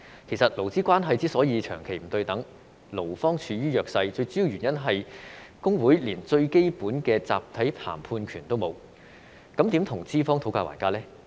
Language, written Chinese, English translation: Cantonese, 其實，勞資關係之所以長期不對等，勞方處於弱勢，最主要原因是工會連最基本的集體談判權也沒有，那麼如何跟資方討價還價呢？, In fact the main reason for the long - standing unequal labour relations and the employees weak position is the lack of collective bargaining right for employees a basic labour right . Then how could they bargain with their employers?